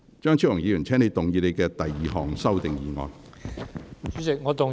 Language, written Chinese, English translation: Cantonese, 張超雄議員，請動議你的第二項修訂議案。, Dr Fernando CHEUNG you may move your second amending motion